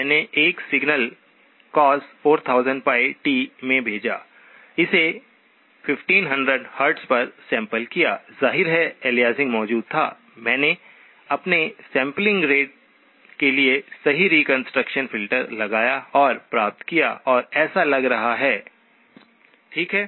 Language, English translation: Hindi, I sent in a signal cosine 4000pi t, sampled it at 1500 Hz, obviously aliasing was present, I applied the correct reconstruction filter for my sampling rate and obtained and it looks like, okay